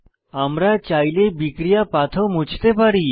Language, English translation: Bengali, We can also remove the reaction pathway, if we want to